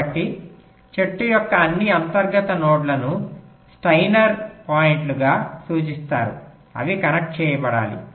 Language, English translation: Telugu, so all the internal nodes of the tree will be referred to as steiner points